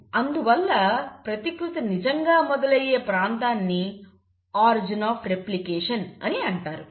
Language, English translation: Telugu, So that region where the replication actually starts is called as the origin of replication